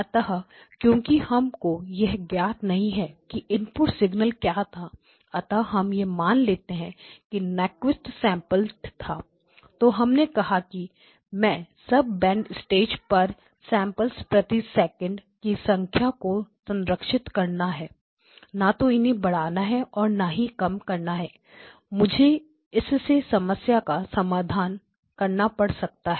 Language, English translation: Hindi, So, since we do not know what the input signal is, we assume it is Nyquist sampled so then we said okay the best that I can do at the sub band stage is to preserve the number of samples per second, not increase it or not decrease it will I may run into trouble not increase it